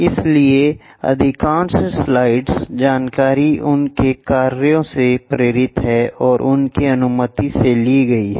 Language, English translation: Hindi, So, most of the slides, information is inspired by his works and taken with his permission